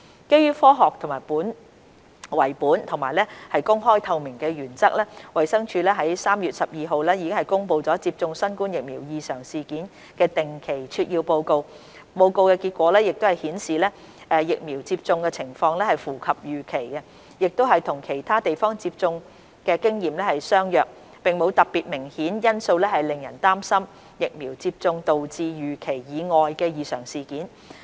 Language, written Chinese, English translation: Cantonese, 基於科學為本和公開透明的原則，衞生署於3月12日公布接種新冠疫苗異常事件的定期撮要報告，報告結果顯示疫苗接種情況符合預期，亦與其他地方接種經驗相若，並無特別明顯因素令人擔心疫苗接種導致預期以外的異常事件。, Based on science and following the principles of openness and transparency DH published on 12 March the regular summary report on AEFIs associated with COVID - 19 vaccination . The results of the report showed that the vaccination situation was in line with expectations and was similar to the experience of other places . There is no particular significant factor that raises concerns on unexpected AEFIs due to COVID - 19 vaccination